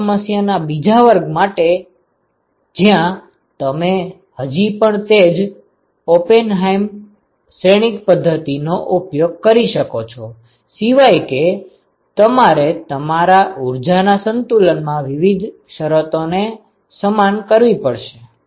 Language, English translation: Gujarati, So, this is for the second class of problem where you can still use the same Oppenheim matrix method except that you will have to equate different terms in your energy balance